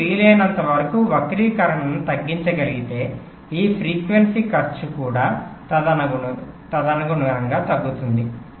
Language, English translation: Telugu, so so if you can reduce skew jitter as much as possible, your this frequency cost will also reduced accordingly